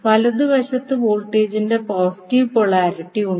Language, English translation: Malayalam, And at the right side you have positive polarity of the voltage